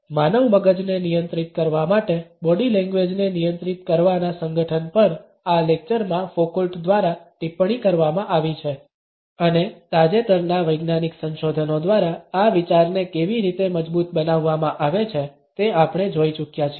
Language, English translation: Gujarati, The association in controlling the body language to control the human mind has been commented on by Foucault in this lecture and we have already seen how this idea has been reinforced by recent scientific researches